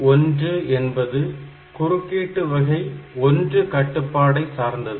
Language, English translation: Tamil, So, IT1 is the interrupt 1 type control